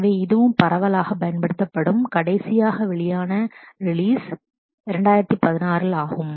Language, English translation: Tamil, So, this is also a widely used, last release 2016